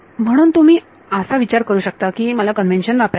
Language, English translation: Marathi, So, you can think of it as supposing I wanted to use the convention